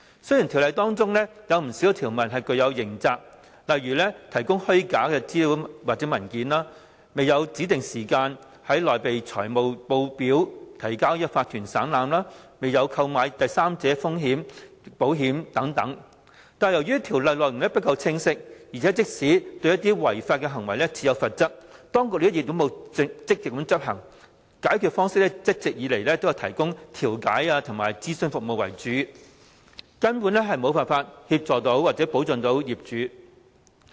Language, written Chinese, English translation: Cantonese, 雖然《條例》中不少條文訂明刑責，例如提供虛假資料或文件、未有在指定時間內擬備財務報表提交法團省覽、未有購買第三者風險保險等，但由於《條例》內容不夠清晰，而且即使對違法行為設有罰則，當局並沒有積極執行，解決方式一直都以調解和提供諮詢服務為主，根本無法協助或保障業主。, Although quite a number of provisions of BMO stipulate criminal liability such as the provision of false documents or information the failure to prepare financial statements within the specified time for submission to OCs for perusal the failure to purchase third party risk insurance and so on BMO can absolutely not assist or protect property owners because its contents are unclear . Moreover even if penalties for illegal acts are provided the authorities have failed to enforce the penalties proactively . Instead the authorities have all along relied mainly on mediation and the provision of advisory services to solve problems